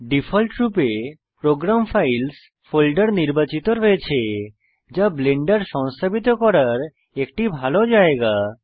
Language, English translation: Bengali, By default the Program Files folder is selected which is a good location to install Blender so go ahead and hit the Install button